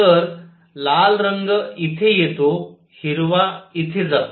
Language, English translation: Marathi, So, red color comes here green goes here